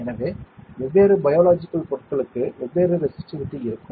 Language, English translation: Tamil, So, for different biological material, we will have different resistivity